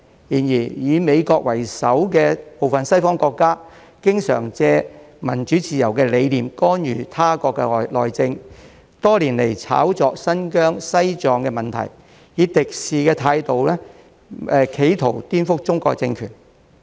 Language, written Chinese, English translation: Cantonese, 然而，以美國為首的部分西方國家，經常借民主自由的理念干涉他國內政，多年來炒作新疆、西藏等問題，以敵視的態度企圖顛覆中國的政權。, However some Western countries led by the United States often make use of the concepts of democracy and freedom to interfere in the internal affairs of other countries and over the years have hyped about the issues related to Xinjiang and Tibet in a hostile attempt to subvert the Chinese regime